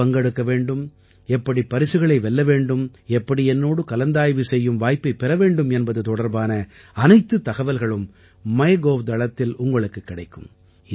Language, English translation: Tamil, You will get all the information on MyGov how to participate, how to win the prize, how to get an opportunity to discuss with me